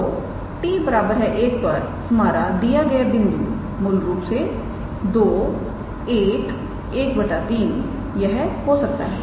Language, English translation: Hindi, So, at t equals to 1 our given point can be basically 2 1 1 by 3